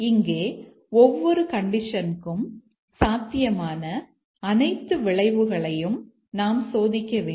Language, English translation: Tamil, Here we need to test all possible outcomes for each of the conditions